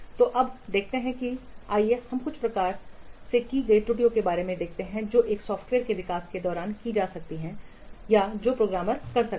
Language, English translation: Hindi, So now let's see, let us look at about some commonly made errors which are there or which the programmers might commit during the development of a software